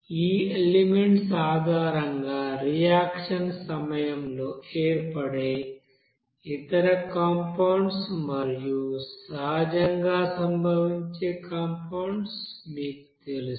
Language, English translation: Telugu, But other compound which are formed during the reaction based on these elements and also other you know naturally occurring compounds